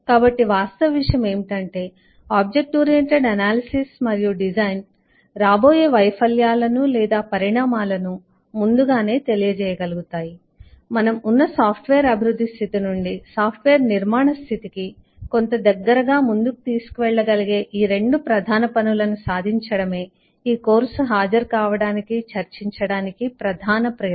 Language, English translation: Telugu, so the fact of the matter is that object oriented analysis and design is a precursor to achieving both these major tasks, which will take us forward somewhat closer to software construction than the state of development that we are in, and that is the main motivation of attending discussing this course